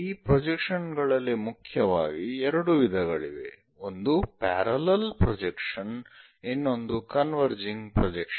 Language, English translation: Kannada, This projections are mainly two types, one our parallel projections other one is converging projections